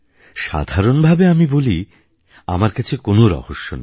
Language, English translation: Bengali, To tell you the truth, I have no such secret